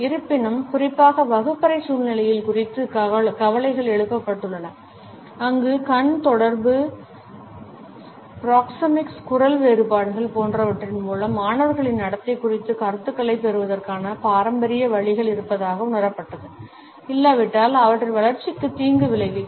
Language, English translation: Tamil, However, concerns have been raised particularly about the classroom situations, where it was felt that the traditional ways of receiving of feedback about the behaviour of the students through eye contact, proxemics, voice differences etcetera; if absent may be detrimental to their development